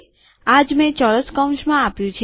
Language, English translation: Gujarati, This is what I have given within the square brackets